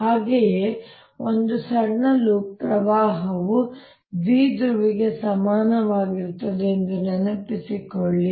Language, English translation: Kannada, also recall that a small loop of current is equivalent to a dipole